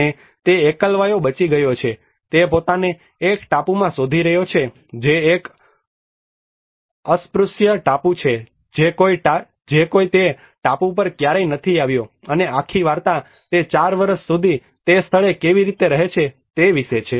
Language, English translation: Gujarati, And he is a lonely survivor he finds himself in an island which an untouched island no one ever been to that island and the whole story is all about how he lives in that place for 4 years